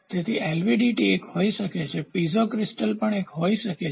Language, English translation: Gujarati, So, LVDT can be one Piezo crystal can also be one